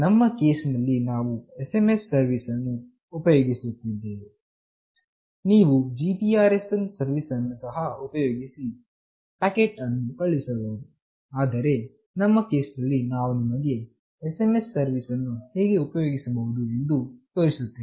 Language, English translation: Kannada, In our case, we have used SMS service; you can also use GPRS service for sending packet as well, but in our case we will show you how we can use SMS service